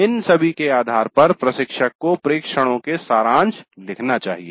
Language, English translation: Hindi, Based on all these the instructor must write the summary observations